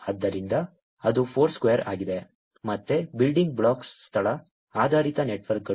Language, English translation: Kannada, So, that is Foursquare, again, building blocks is location based networks